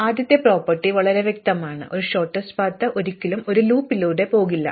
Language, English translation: Malayalam, So, the first property is fairly obvious, that is a shortest path will never go through a loop